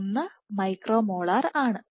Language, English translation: Malayalam, 1 micro molar